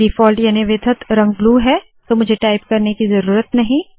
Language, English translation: Hindi, The default color is blue so I dont have to type it